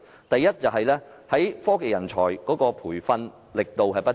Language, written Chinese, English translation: Cantonese, 第一，科技人才培訓力度不足。, First insufficient training of technology talent